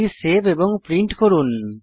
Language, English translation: Bengali, Save and print a message